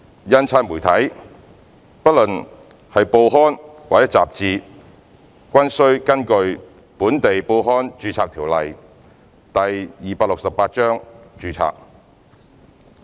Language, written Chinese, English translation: Cantonese, 印刷媒體不論是報刊或雜誌均須根據《本地報刊註冊條例》註冊。, 106 respectively . Printed media be they newspapers or magazines are required to be registered under the Registration of Local Newspapers Ordinance Cap